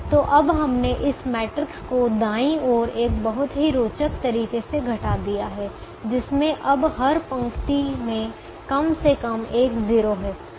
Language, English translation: Hindi, so now we have reduced this matrix to the one on the right hand side, with a very interesting addition: that every row now has atleast one zero